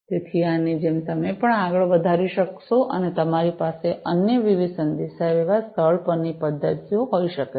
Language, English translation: Gujarati, So, like this you know you could even extend it even further and you could have different other communication, mechanisms in place